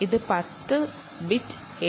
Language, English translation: Malayalam, its a ten bit a d c